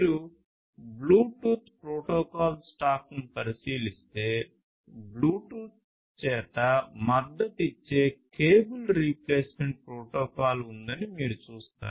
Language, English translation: Telugu, If you look at the Bluetooth stack, protocol stack, you will see that there is a cable replacement protocol that is supported by Bluetooth